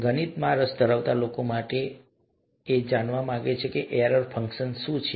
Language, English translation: Gujarati, For people who have an interest in maths, you would like to know what an error function is